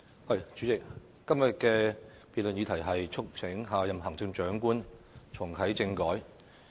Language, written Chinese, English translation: Cantonese, 代理主席，今天的辯論題目是"促請下任行政長官重啟政改"。, Deputy President todays topic for debate is Urging the next Chief Executive to reactivate constitutional reform